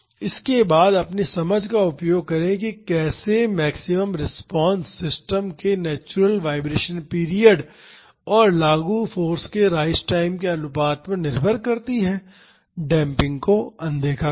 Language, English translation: Hindi, Instead, use your understanding of how the maximum response depends on the ratio of the rise time of the applied force to the natural vibration period of the system; neglect damping